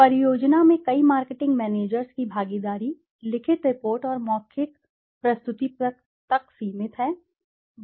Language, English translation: Hindi, The involvement of many marketing managers in the project is limited to the written report and the oral presentation